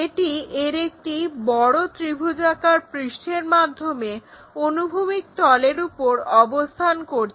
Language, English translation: Bengali, And the larger triangular faces that is on horizontal plane